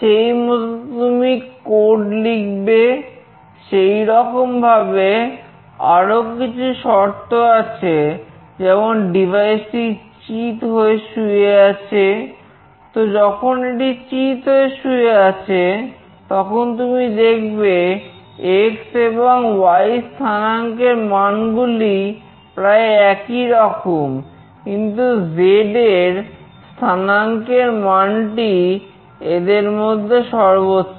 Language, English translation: Bengali, Similarly, there are few more condition like the devices lying flat, when it is lying flat you see x coordinate value, and y coordinate value are to some extent same, but the z coordinate value is the highest